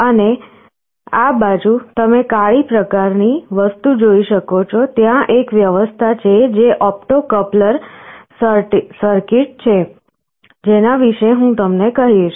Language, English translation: Gujarati, And, on this side you can see a black kind of a thing; there is an arrangement that is an opto coupler circuit, which I shall be telling you about